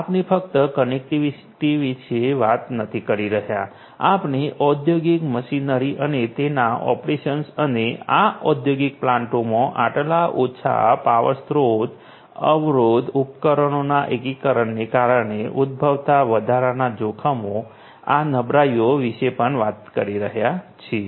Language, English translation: Gujarati, We are not just talking about connectivity, we are also talking about the industrial machinery and their operations and the additional risks or vulnerabilities that come up due to the integration of these low power resource constraint devices in these industrial plants